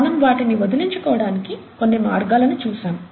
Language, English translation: Telugu, We looked at some means of getting rid of them